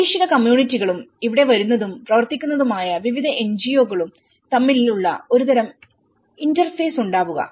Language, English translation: Malayalam, Become a kind of interface between the local communities and the various NGOs coming and working in it